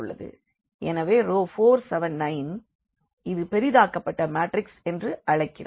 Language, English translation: Tamil, So, this matrix we call as the augmented matrix